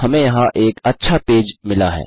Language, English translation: Hindi, Okay so weve got a nice page here